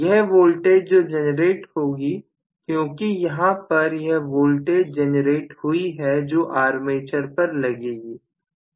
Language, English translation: Hindi, Now, this voltage is generated because this voltage is generated that voltage manifests itself across armature